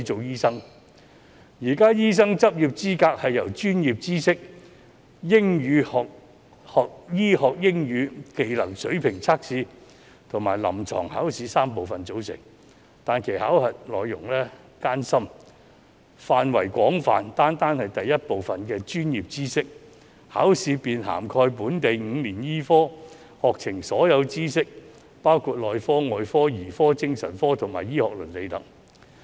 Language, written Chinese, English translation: Cantonese, 現時的醫生執業資格試由專業知識考試、醫學英語技能水平測驗及臨床考試3部分組成，但其考核內容艱深，範圍廣泛，單單是第一部分的專業知識考試便涵蓋本地5年醫科課程的所有知識，包括內科、外科、兒科、精神科及醫學倫理等。, The current Licensing Examination comprises three parts namely the Examination in Professional Knowledge the Proficiency Test in Medical English and the Clinical Examination . The contents are very difficult and broad . The first part the Examination in Professional Knowledge alone covers the entire syllabus of the five - year local medicine programme including medicine surgery paediatrics psychiatry medical ethics etc